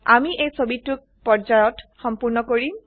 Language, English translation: Assamese, We shall complete this picture in stages